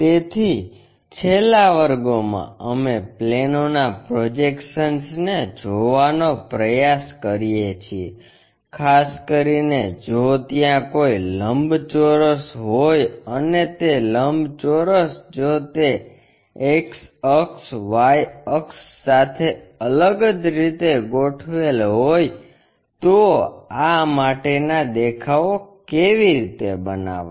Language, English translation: Gujarati, So, in the last classes we try to look at projection of planes, especially if there is a rectangle and that rectangle if it is reoriented with the X axis, Y axis in a specialized way, how to construct these views